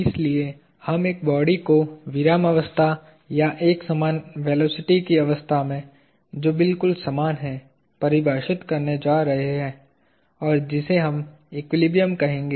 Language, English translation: Hindi, Therefore, we are going to define a body at rest or in a state of uniform velocity as being exactly the same; and, that is what we will call equilibrium